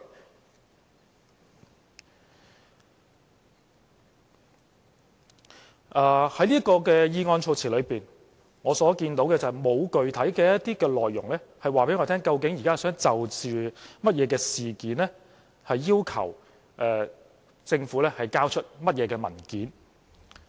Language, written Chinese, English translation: Cantonese, 就着這項議案措辭，當中沒有具體內容可以告訴我們，究竟現在他想就甚麼事件要求政府交出甚麼文件。, Regarding this line of the motion there is nothing concrete that can tell us about what he wants . To be exact what documents on which matters does he want the Government to hand over?